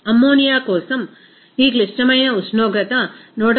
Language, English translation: Telugu, For ammonia, this critical temperature will be 132